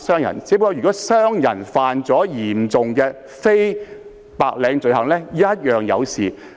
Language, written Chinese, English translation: Cantonese, 如商人犯下嚴重的非白領罪行，亦無法獲得豁免。, Businessmen who have perpetrated serious non - white - collar offences will never be exempted from SFO arrangements